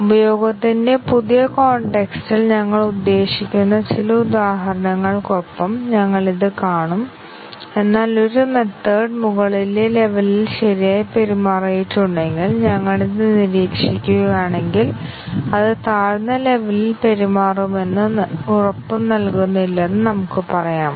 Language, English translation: Malayalam, We will see this with some examples what we mean by new context of usage, but then we can say that, if you observed that a method has behaved correctly at an upper level does not guarantee that it will behave at a lower level and